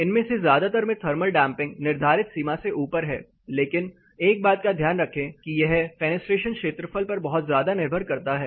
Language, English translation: Hindi, Most of them had thermal damping which is above the prescribed limit, but please make a note of one thing it is very critically or strongly dependent upon the fenestration area